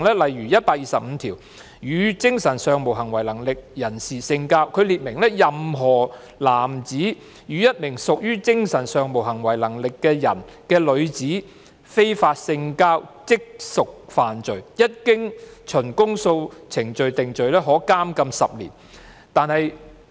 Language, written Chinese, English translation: Cantonese, 例如，第125條"與精神上無行為能力的人性交"，列明"任何男子與一名屬精神上無行為能力的人的女子非法性交，即屬犯罪，一經循公訴程序定罪，可處監禁10年"。, For example section 125 Intercourse with mentally incapacitated person stipulates that a man who has unlawful sexual intercourse with a woman who is a mentally incapacitated person shall be guilty of an offence and shall be liable on conviction on indictment to imprisonment for 10 years